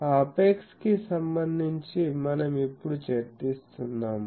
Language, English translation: Telugu, So, with respect to that apex we are now discussing